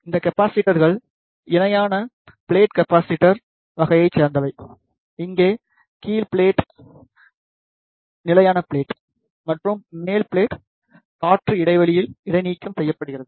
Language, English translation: Tamil, These capacitors are of parallel plate capacitor type, here the bottom plate is the fixed plate and the top plate is suspended at an air gap